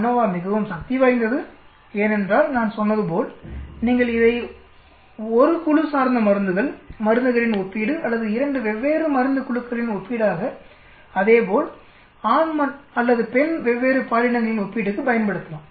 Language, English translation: Tamil, ANOVA is very powerful because as I said you can use it for 1 group like drugs, comparison of drugs or it can be 2 different groups comparison of drugs, as well as on different genders male or female